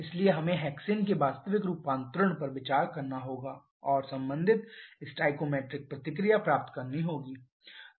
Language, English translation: Hindi, So, we have to consider the true conversion of hexane and get the corresponding stoichiometric reaction